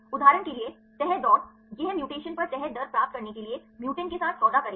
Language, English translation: Hindi, For example, the folding race this will deal with the mutants to get the folding rate upon mutation